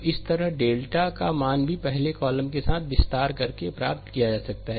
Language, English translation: Hindi, So, similarly, your the value of delta may also be obtained by expanding along the first column